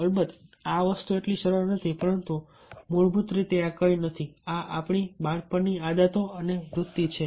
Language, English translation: Gujarati, so these things, of course, not that simple, but basically this is nothing but our childhood practice and habits